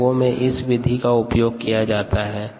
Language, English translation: Hindi, this is used in the industry